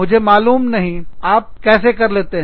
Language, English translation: Hindi, I do not know, how you are doing it